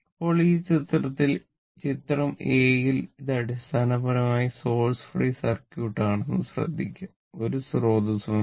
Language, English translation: Malayalam, In in this figure, if here, if you look into that, it is a basically source free circuit; there is no source